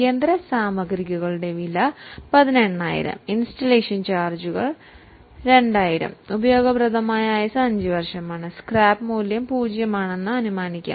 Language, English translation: Malayalam, So, cost of machinery is 18,000, installation charges are 2,000, useful life is 5 years, we have assumed that scrap value is 0